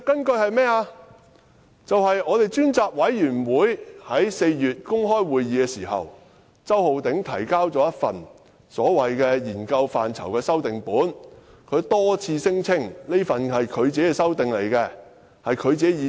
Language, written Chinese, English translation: Cantonese, 便是專責委員會在4月舉行公開會議時，周浩鼎議員提交了一份研究範疇修訂本，他多次聲稱那是他自己的修訂，他自己的意思。, The facts are that at an open meeting of the Select Committee in April Mr Holden CHOW submitted an amended copy of the scope of study of the Select Committee insisting time and again that the amendments were made by him and they were his own ideas